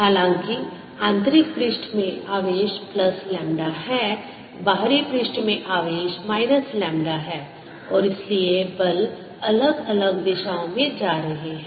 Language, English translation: Hindi, however, the inner surface has charge plus lambda, the outer surface has charge minus lambda and therefore the forces are going to be in different directions